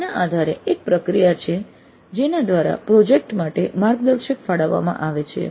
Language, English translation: Gujarati, So based on that there is a kind of a process by which the guides are allocated to the projects